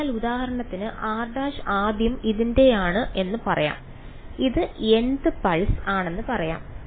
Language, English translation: Malayalam, So, for example, r prime first let us say belongs to this let us say this is the nth pulse